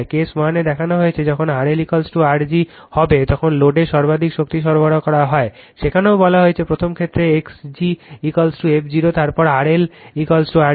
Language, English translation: Bengali, As shown in case 1 the maximum power is delivered to the load when R L will be is equal to R g, there also you said for the first case X g is equal to f 0 then R L is equal to R g